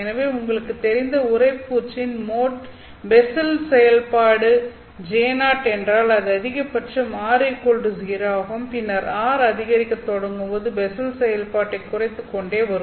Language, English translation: Tamil, So if the core mode starts, for example, if the core mode is a basal function J0, then it is maximum at r equal to 0 and then as r starts to increase the basal function keeps on reducing